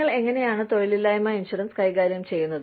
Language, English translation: Malayalam, How do you manage, unemployment insurance